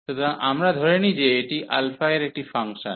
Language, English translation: Bengali, So, we assume that this is a function of alpha